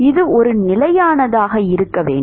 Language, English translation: Tamil, It should be a constant